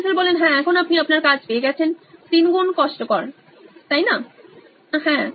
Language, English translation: Bengali, Yes, now you got your job got triply cumbersome yes